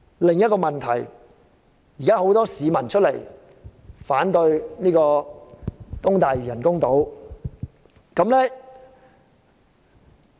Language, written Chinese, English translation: Cantonese, 另一個問題是，很多市民反對興建東大嶼人工島。, Another problem is that many people are against the construction of artificial islands in East Lantau